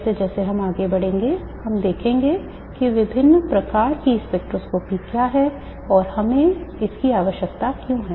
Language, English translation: Hindi, We will see as we go along what are the different types of spectroscopy, why we need to do that and so on